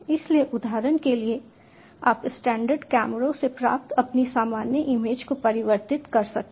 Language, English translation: Hindi, so, for example, you can convert your normal images acquired from standard cameras